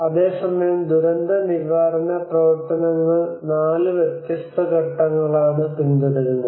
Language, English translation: Malayalam, Whereas the disaster management follows four different phases